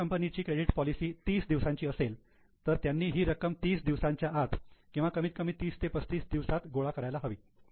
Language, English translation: Marathi, Suppose their policy is to have credit for 30 days, they must have collected in 30 days, at least in 32, 35 days